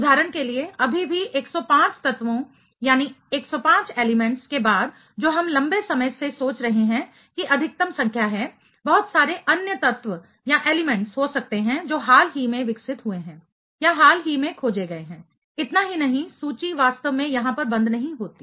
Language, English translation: Hindi, For example, still after 105 elements which we are thinking for quite long that is the maximum number, there could be a lot of other elements which are recently developed or recently discovered; not only that the list does not really stop over here